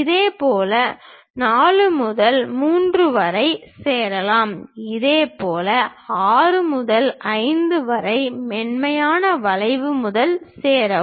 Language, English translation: Tamil, Now, join 4 to 3 by a smooth curve, similarly 6 to 5 by a smooth curve